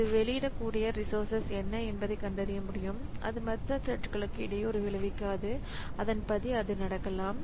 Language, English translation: Tamil, So, it can find out like what are the resources it can release that will not hamper other threads and accordingly it can take place